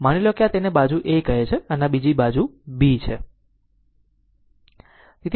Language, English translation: Gujarati, Suppose, this is your what you call this side is A and this side is B